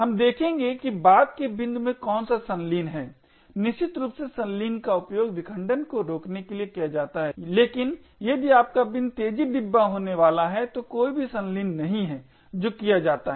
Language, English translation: Hindi, We will see what coalescing is at a later point, essentially coalescing is used to prevent fragmentation however if you bin happens to be the fast bin then there is no coalescing which is done